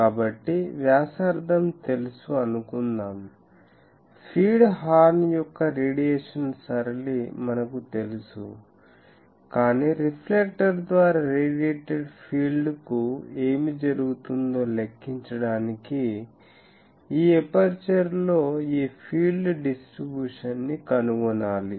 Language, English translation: Telugu, So, this we know the radius suppose, we know the radiation pattern of the feed horn, but to calculate what is happening to the radiated field by the reflector we need to find this field distribution on this aperture